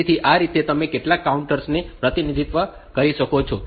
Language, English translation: Gujarati, So, this way you can represent some counters